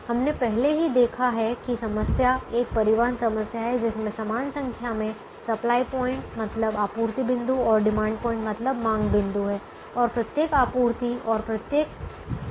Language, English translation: Hindi, we have already seen that the problem is a transportation problem with an equal number of supply points and demand points, and each supply and each demand having one unit